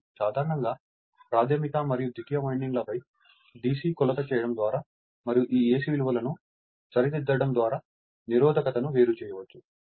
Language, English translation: Telugu, So, generally resistance could be separated out by making DC measurement on the primary and secondary and duly you are correcting these for AC values